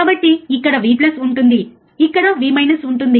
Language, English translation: Telugu, So, here will be V plus here will be V minus